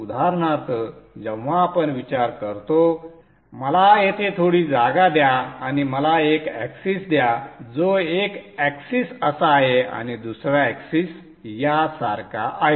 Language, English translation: Marathi, For example, when we consider, let me make some space here, yeah, and let me have the axis, let us have one axis like this and another axis like this